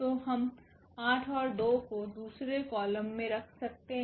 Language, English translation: Hindi, So, we can place 8 and 2 in the second column